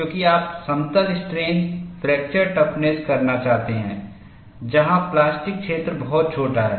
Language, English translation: Hindi, Because you are wanting to do plane strain fracture toughness, where the plastic zone is very very small